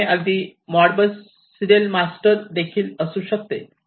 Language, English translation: Marathi, And, this could be even like, Modbus serial master